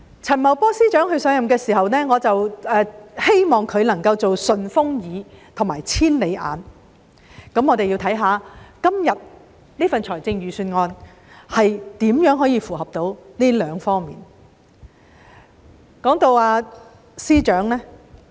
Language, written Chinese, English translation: Cantonese, 陳茂波司長上任的時候，我希望他能夠做"順風耳"和"千里眼"，我們看一看今天這份預算案如何做到這兩方面。, When FS Paul CHAN took office I hoped that he would have super ears and super eyes . Let us consider whether the present Budget demonstrates these two aspects